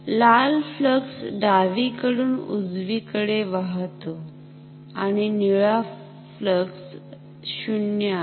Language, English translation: Marathi, So, red flux flows from left to right and the blue flux is 0, because the blue current is 0